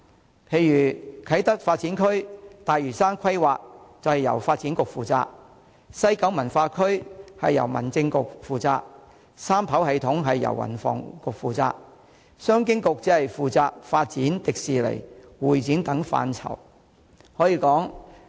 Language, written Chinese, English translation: Cantonese, 舉例說，啟德發展區和大嶼山規劃由發展局負責、西九文化區由民政事務局負責、三跑系統由運輸及房屋局負責，而商務及經濟發展局則只負責發展迪士尼及會展等範疇。, For instance the Kai Tak Development Area and the plan on Lantau are under the purview of the Development Bureau; the West Kowloon Cultural District is the responsibility of the Home Affairs Bureau; the Third - runway System falls under the ambit of the Transport and Housing Bureau; and the Commerce and Economic Development Bureau is only responsible for such areas as the development of Disneyland convention and exhibition etc